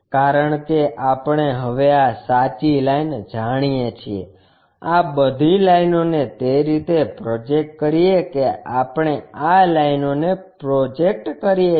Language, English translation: Gujarati, Because we already know this true line now, project all these lines up in that way we project these lines